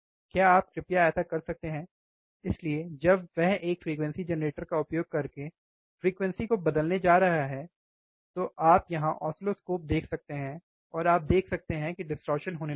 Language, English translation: Hindi, Can you please do that yeah so, when he is going to change the frequency using frequency generator you can see the oscilloscope here, and you can see here the distortion will start occurring slew rate will start changing, right